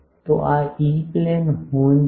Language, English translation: Gujarati, So, this is the E Plane horn